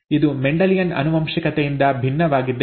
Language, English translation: Kannada, And then some principles of Mendelian genetics